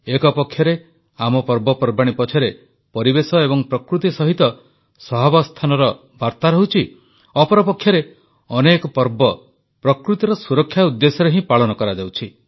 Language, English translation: Odia, On the one hand, our festivals implicitly convey the message of coexistence with the environment and nature; on the other, many festivals are celebrated precisely for protecting nature